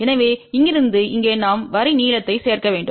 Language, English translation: Tamil, So, from here to here we have to add the line length